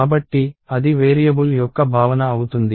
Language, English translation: Telugu, So, that is the concept of a variable